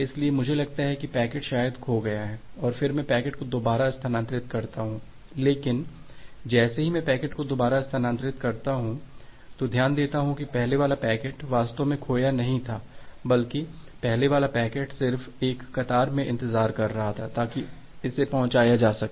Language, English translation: Hindi, So, I think that well the packet is probably got lost and then I retransmit the packet again, but whenever I am retransmitting the packet again note that the earlier packet was actually not lost rather the earlier packet was just waiting in a queue to get it delivered